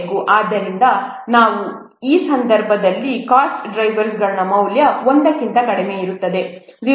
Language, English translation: Kannada, So we have to see in that case the value of the cost driver will be less than one